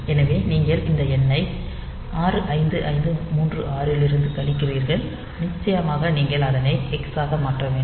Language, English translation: Tamil, So, you subtract this n from 65536, and we have to definitely you need to convert to hex